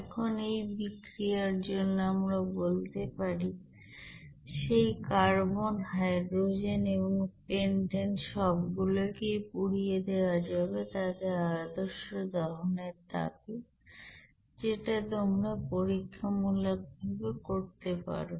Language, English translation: Bengali, Now from this reaction, we can say that carbon, hydrogen and pentane you know can all be burned and their standard heat of combustion can be you know determined experimentally